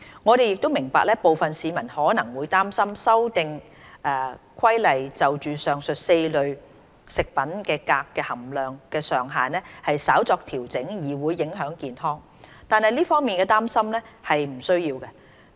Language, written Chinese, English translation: Cantonese, 我們亦明白部分市民可能會擔心《修訂規例》就上述4類食品鎘的含量上限稍作調整，對健康會造成影響，但這方面的擔心並不需要。, We also understand that some members of the public may worry that the minor adjustment in the maximum levels for cadmium content in the aforementioned four food groups proposed in the Amendment Regulation will affect their health . But such a worry is unnecessary